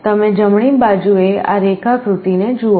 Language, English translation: Gujarati, You see this diagram on the right